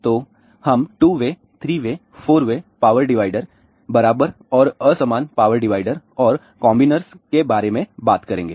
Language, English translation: Hindi, So, we will talk about 2 way, 3 way, 4 way power dividers equal and unequal power dividers and combiners